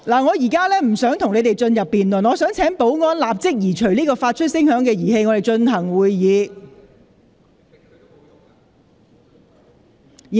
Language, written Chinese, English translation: Cantonese, 我現在不會與你們辯論，我請保安人員立即移除發聲物件，讓本會繼續進行會議。, I am not going to debate with you . Will security personnel please immediately remove the sound device so that the meeting can proceed